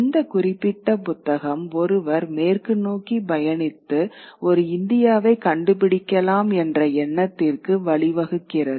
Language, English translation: Tamil, This particular book sort of led to this idea that one could probably travel westwards and find India